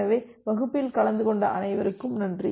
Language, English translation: Tamil, So thank you all for attending the class